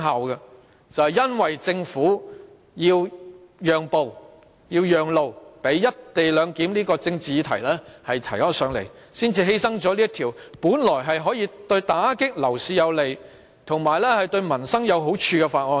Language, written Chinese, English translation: Cantonese, 然而，因為政府要讓路給"一地兩檢"這項政治議案，便犧牲了這項本來可以盡快通過以打擊樓市及有利民生的《條例草案》。, Nevertheless in order to give way to the political motion on the co - location arrangement the Government sacrificed the current Bill which could originally be passed as soon as possible to curb the property market and bring benefits to people